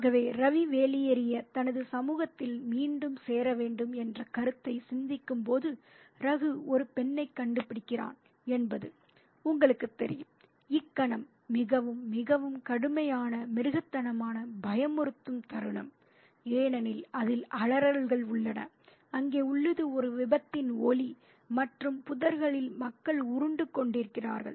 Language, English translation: Tamil, So, so when Ravi is contemplating the notion of getting out and about and joining, rejoining his society, Raghu finds one of the girls and that, you know, a moment is a very, very harsh, brutal, scary moment because there are screams involved, there is the sound of a crash and there are people rolling about in the bushes